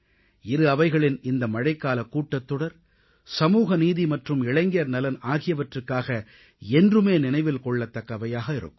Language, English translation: Tamil, This Monsoon session of Parliament will always be remembered as a session for social justice and youth welfare